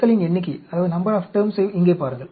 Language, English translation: Tamil, Look at the number of terms here